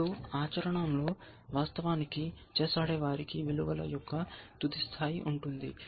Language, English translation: Telugu, Now, in practice; of course, chess playing people have much final gradation of values